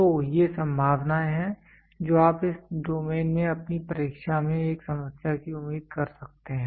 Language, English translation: Hindi, So, these are the possibilities you can expect a problem in your examination in this domain